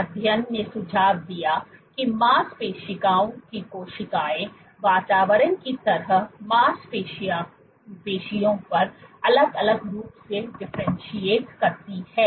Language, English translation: Hindi, So, this study suggested that muscle cells differentiate optimally on muscle like environments